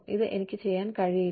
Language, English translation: Malayalam, This is what, I cannot do